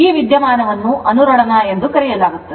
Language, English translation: Kannada, So, this phenomena is known as a resonance